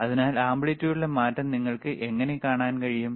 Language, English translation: Malayalam, So, this is how you can see the change in the amplitude,